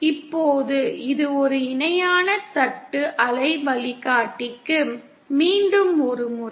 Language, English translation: Tamil, Now this is for a parallel plate waveguide, once again